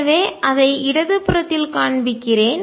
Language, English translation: Tamil, So, let me show it on the left hand side